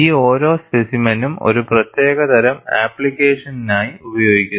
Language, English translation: Malayalam, Each of the specimens is used for a particular kind of application